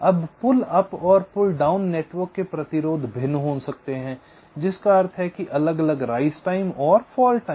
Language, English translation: Hindi, now the resistances of the pull up and pull down network may be different, which means different rise time and fall times